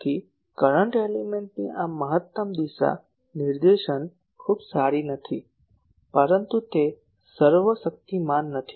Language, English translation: Gujarati, So, the maximum directivity of a current element is not very good, but it is not an omni